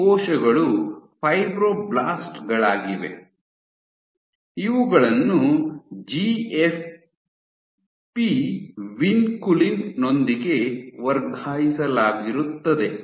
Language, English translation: Kannada, So, these cells were fibroblasts which were transfected with GFP Vinculin